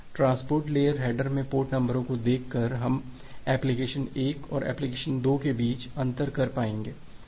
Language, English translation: Hindi, By looking into the port number in the transport layer header, we will be able to differentiate between application 1 and application 2